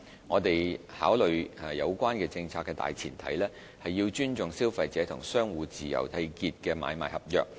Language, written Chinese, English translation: Cantonese, 我們考慮有關政策的大前提，是要尊重消費者與商戶自由締結的買賣合約。, Considerations on relevant policy should be premised on respecting contracts for sale and purchase freely entered into between traders and consumers